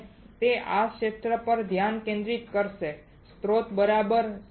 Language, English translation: Gujarati, And it will focus on this area focus on the source alright